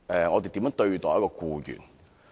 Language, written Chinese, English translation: Cantonese, 我們如何對待僱員？, How should we treat employees?